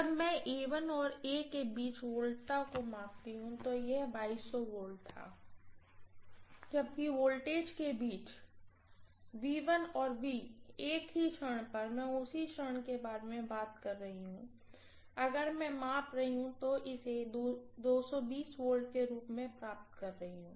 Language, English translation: Hindi, When I measure the voltage between A1 and A, this was 2200 V, whereas voltage between V1 and V at the same instant, I am talking about the same instant, if I am measuring, I am getting this as 220 V, fine